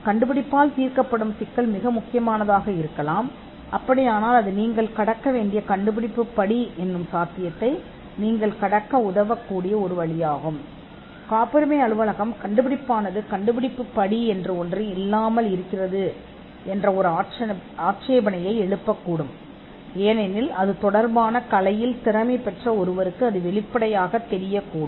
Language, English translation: Tamil, So, the problem that the invention solves could be critical, because that is one way you could get over a potential inventive step objection, that the patent office could raise that the invention lacks an inventive step, because it is obvious to a person skilled in the art